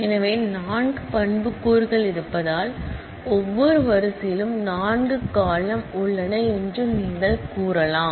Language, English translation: Tamil, So, you can say that since there are 4 attributes, that is every row has 4 columns